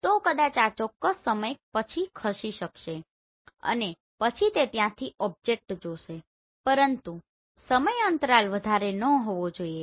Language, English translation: Gujarati, So maybe this itself will move after certain time and then it will see that object from there, but the time lag should not be high